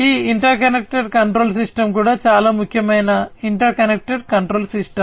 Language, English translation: Telugu, And that is where this interconnected control system is also very important interconnected control system